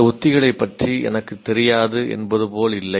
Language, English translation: Tamil, It is not as if I am not aware of the strategies